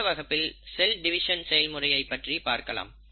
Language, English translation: Tamil, So we’ll look at all this in our class on cell division